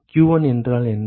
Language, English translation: Tamil, What is q1